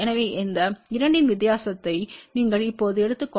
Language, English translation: Tamil, So, if you now take the difference of these two that 40 6 db